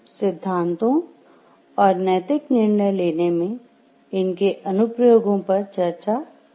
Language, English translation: Hindi, We will continue our discussion of the theories and it is application in the ethical decision making